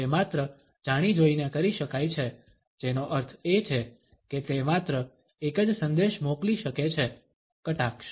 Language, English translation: Gujarati, It can only be done deliberately which means it can send only one message, sarcasm